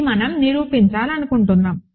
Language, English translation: Telugu, So, this is what we want to prove